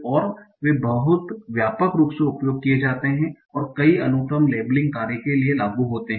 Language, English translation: Hindi, And they are very widely used and applied for many, many sequence labeling tasks